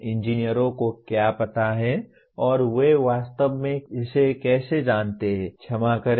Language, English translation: Hindi, What engineers know and how they know it actually, sorry